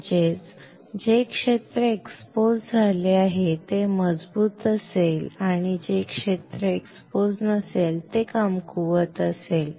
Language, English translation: Marathi, That means, the area which are exposed will be strong and the area which are not exposed will be weak